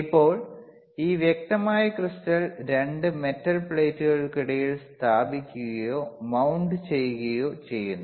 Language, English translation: Malayalam, Now, this clear crystal is placed or mounted between 2 metal plates which you can see here right